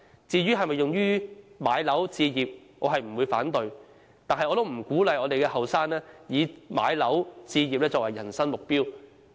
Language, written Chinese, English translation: Cantonese, 至於可否用於置業，我並不會反對，但我不鼓勵青年人以置業作為人生目標。, As for using the fund for home purchase I do not oppose it yet I do not encourage young people to make home ownership the purpose of their life